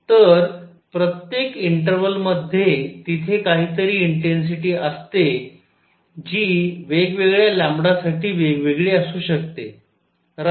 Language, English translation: Marathi, So, in every interval there is some intensity which could be different for different lambda, right